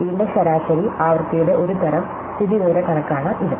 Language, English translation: Malayalam, So, this is a kind of statistical estimate of the average frequency of this